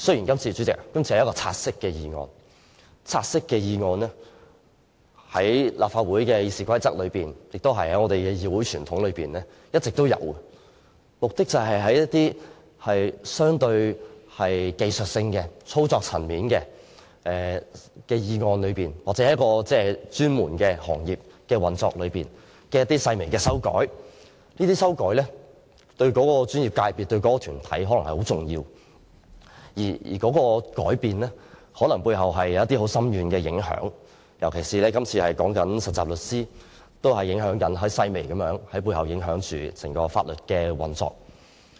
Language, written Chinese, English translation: Cantonese, 代理主席，原本要討論的是一項"察悉議案"，在立法會的《議事規則》和議會傳統中一直存在，是相對技術性、操作層面的議案，目的是對某專門行業的運作作出一些細微的修改，而有關修改對該專業界別或團體可能非常重要，甚至有可能造成很深遠的影響，例如這次所討論有關實習律師的附屬法例，正是涉及很細微的修改，但卻會影響整個法律界的運作。, It is relatively speaking rather technical and operational in nature with the purpose of introducing minor amendments to the practice of a professional sector . Some amendments may be vital to or even have far - reaching impact on a particular professional sector or organization . For example regarding the subsidiary legislation under discussion now although minor amendments are made in relation to trainee solicitors such amendments will affect the practice of the whole legal sector